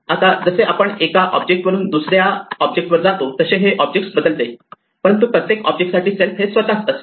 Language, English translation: Marathi, Now this particular object changes as we move from one object to another, but for every object self is itself